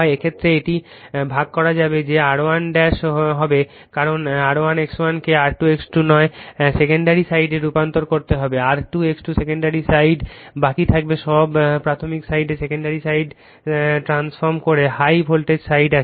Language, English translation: Bengali, In this case it will be divided that is R 1 dash will be that is because R 1 X 1 you have to transform to the secondary side not R 2 X 2, R 2 X 2 will remaining the secondary side all the in primary side your transforming the secondary side there is high voltage side you are taking the low voltage side